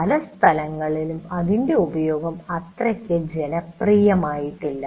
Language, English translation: Malayalam, While it is adopted in some places, its use hasn't really become that popular